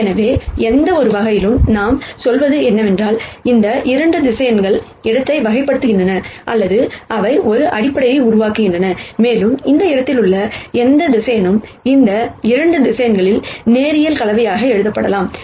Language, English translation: Tamil, So, in some sense what we say is that, these 2 vectors characterize the space or they form a basis for the space and any vector in this space can simply be written as a linear combination of these 2 vectors